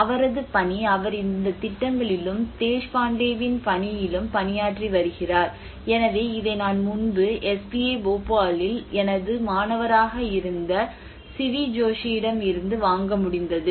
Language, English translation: Tamil, \ \ And his work has been, he has been working on this projects and also Deshpande\'eds work, so this I have able to procure from Shivi Joshi\'eds, who was my student earlier in SPA Bhopal